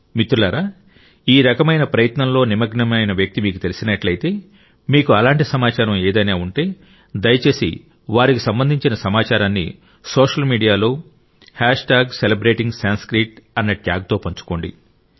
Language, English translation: Telugu, Friends, if you know of any such person engaged in this kind of effort, if you have any such information, then please share the information related to them on social media with the hashtag Celebrating Sanskrit